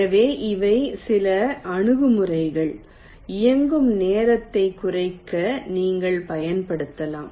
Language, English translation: Tamil, ok, so these are some approaches you can use for reducing the running time and ah